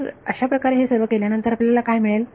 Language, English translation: Marathi, So, after having done all of that what you get